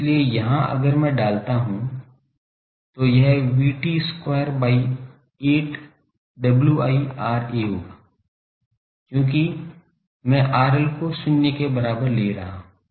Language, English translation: Hindi, So, here if I put so it will be V T square by 8, W i R a, because I am taking R L is equal to zero